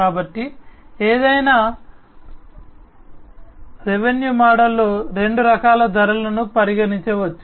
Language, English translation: Telugu, So, there are two different types of pricing that can be considered in any revenue model